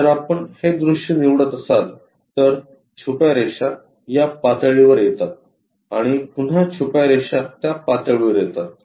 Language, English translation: Marathi, If we are picking this one the hidden lines comes at this level and again hidden lines comes at that level